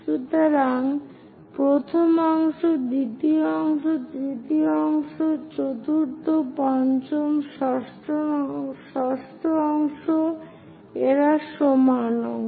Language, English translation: Bengali, So, first part, second part, third part, fourth, fifth, sixth these are equal parts